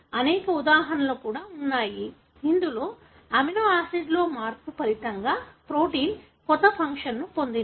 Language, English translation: Telugu, There are also many examples, wherein a change in the amino acid resulted in the protein acquiring a new function